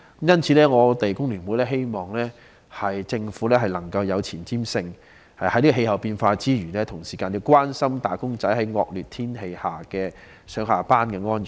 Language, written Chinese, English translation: Cantonese, 因此，工聯會希望政府有前瞻性，在關心氣候變化之餘，也關心"打工仔"在惡劣天氣下上、下班的安全。, Hence The Hong Kong Federation of Trade Unions FTU urges the Government to be forward - looking . Apart from paying attention to climate change the Government should also care about the safety of wage earners commuting to and from work under inclement weather conditions